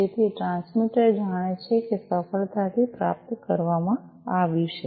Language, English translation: Gujarati, So, the transmitter knows that there has been a successful reception